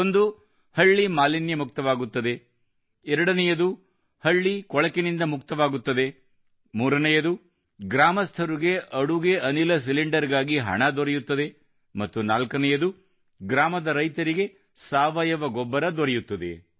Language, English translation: Kannada, One, the village is freed from pollution; the second is that the village is freed from filth, the third is that the money for the LPG cylinder goes to the villagers and the fourth is that the farmers of the village get bio fertilizer